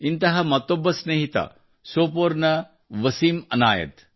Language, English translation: Kannada, Similarly, one such friend is from Sopore… Wasim Anayat